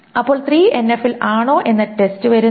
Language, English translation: Malayalam, The question then comes, is it in 3NF